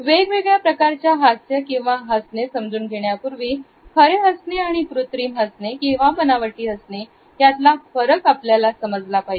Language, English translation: Marathi, Before going further into understanding different types of a smiles, we must understand how to differentiate between a genuine and a fake smile